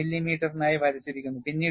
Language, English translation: Malayalam, 6 millimeter; then, it is drawn for 6 millimeter